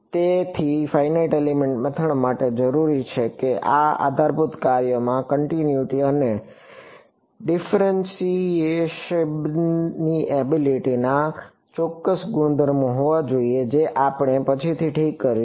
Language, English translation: Gujarati, So, the finite element method needs that these basis functions they should have certain properties of continuity and differentiability which we will come to later ok